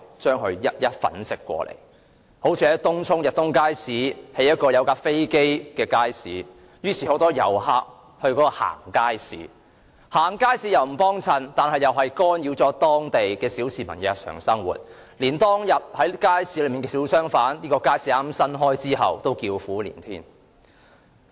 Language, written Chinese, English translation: Cantonese, 以東涌的逸東邨街市為例，領展在街市設立飛機模型，吸引很多遊客前往參觀，但他們只是參觀街市並無光顧，干擾了當區小市民的日常生活，就是在街市開張後開業的小商販，現在也叫苦連天。, Link REIT has placed the model of an aeroplane in the market which has attracted many visitors . However these visitors just go there for sight - seeing rather than shopping and they have disturbed the daily life of the residents there . As for small shops that started operation after the opening of the market they are now groaning about the difficult business